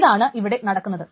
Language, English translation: Malayalam, That's what it's being done